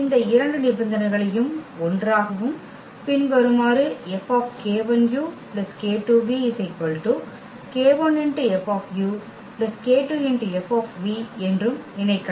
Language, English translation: Tamil, And these 2 conditions can be combined into one and as follows that F times this k 1 plus k 2 v is equal to k 1 F u plus k 2 F v